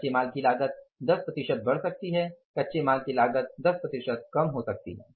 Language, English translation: Hindi, Cost of raw material can go up by 10 percent